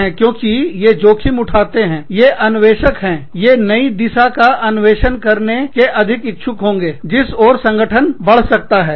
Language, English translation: Hindi, Because, they are risk takers, they are innovators, they are more willing to explore, the new directions, that the organization can move in